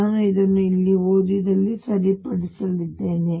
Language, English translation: Kannada, I have corrected this in in read out here